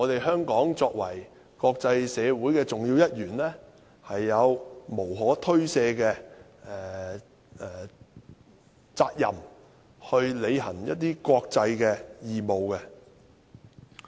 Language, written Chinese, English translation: Cantonese, 香港作為國際社會的重要一員，有無可推卸的責任，去履行一些國際的義務。, Hong Kong as a key member of the international community is duty - bound to discharge some international responsibilities